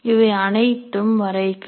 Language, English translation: Tamil, It is all graphic one